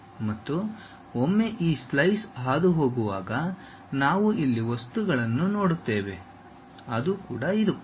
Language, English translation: Kannada, And, once this slice is passing through that we see a material here, that is this